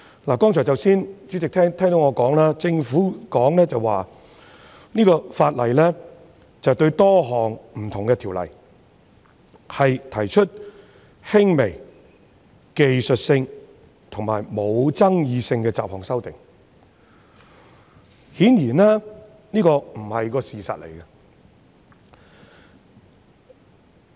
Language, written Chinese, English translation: Cantonese, 代理主席，政府說《條例草案》對多項不同的條例提出輕微、技術性和無爭議的雜項修訂，這顯然不是事實。, Deputy President the Government claims that this Bill seeks to make miscellaneous amendments which are minor technical and non - controversial to various Ordinances but this obviously is not the fact